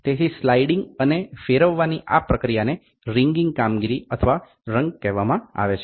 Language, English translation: Gujarati, So, this process of sliding and rotating is called as wringing operation or wrung